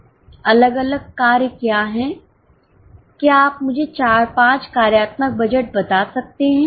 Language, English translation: Hindi, Can you tell me four or five functional budgets